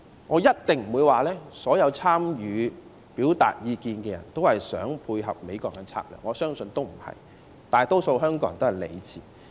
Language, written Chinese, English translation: Cantonese, 我一定不會說所有參與表達意見的人也是想配合美國的策略，我相信不是這樣的，大多數香港人也是理智的。, I definitely will not say that all the people who took part in the expression of views intended to provide support for the strategies of the United States . No I do not believe it and I think most Hong Kong people are rational